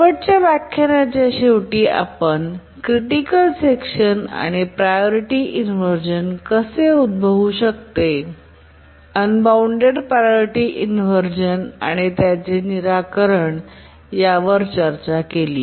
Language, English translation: Marathi, Towards the end of the last lecture, we are discussing about a critical section and how a priority inversion can arise, unbounded priority inversions and what are the solutions